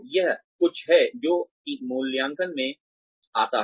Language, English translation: Hindi, So, this is something, that comes up in appraisals